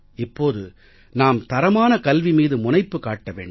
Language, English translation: Tamil, Now we will have to focus on quality education